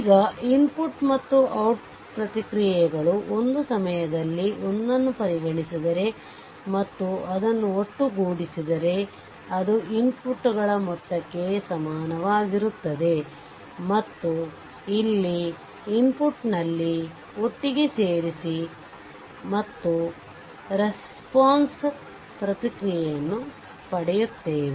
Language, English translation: Kannada, Now if you consider one at a time at the input and output responses you are getting and sum it up if it is equal to that same as your sum of the inputs where together you are putting at the input and getting the output response